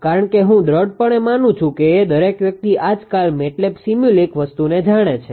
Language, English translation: Gujarati, Because I strongly believe that everyone knows MATLAB sim MATLAB simu link thing nowadays right